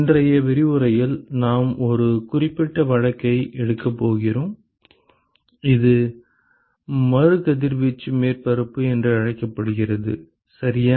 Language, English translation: Tamil, We are going to take a specific case in today’s lecture is called the re radiating surface ok